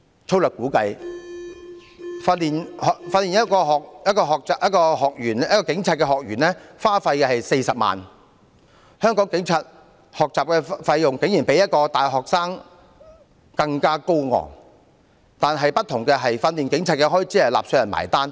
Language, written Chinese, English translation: Cantonese, 粗略估計，訓練一名學警所需費用約40萬元，香港警察學習的費用竟比大學生更高昂，但不同的是，訓練警察的開支由納稅人支付。, It is roughly estimated that around 400,000 is required for training a recruit police constable . Surprisingly the tuition fee for a policeman in Hong Kong is higher than that for a university student . The other difference is that the expenses for training police officers are paid by taxpayers